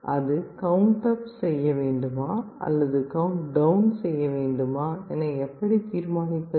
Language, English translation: Tamil, And how we decide whether it is going to count up or down